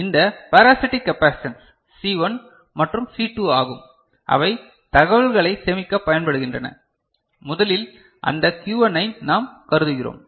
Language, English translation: Tamil, So, first of all, these parasitic capacitance is C1 and C2, they are used for storing of information; to start with we consider that Q1 ON